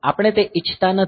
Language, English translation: Gujarati, So, we do not want that